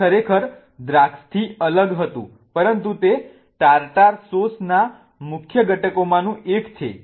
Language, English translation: Gujarati, It was really isolated from grapes but it is one of the main ingredients of the tartar sauce